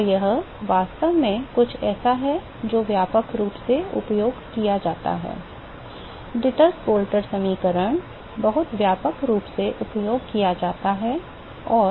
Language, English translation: Hindi, So, this is actually something which is very very widely used, Dittus Boelter equation is very widely used and